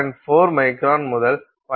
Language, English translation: Tamil, 4 microns to about 0